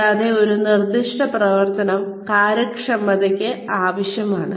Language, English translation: Malayalam, And, one specific operation is requirement for efficiency